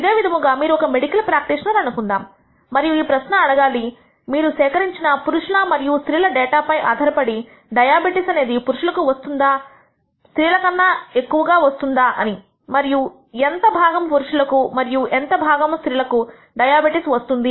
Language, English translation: Telugu, Similarly, let us assume you are a medical practitioner and you want to ask this question whether the incidence of diabetes is greater among males than females based on data that you have gathered about males and females and what proportion of males and what proportion of females have diabetes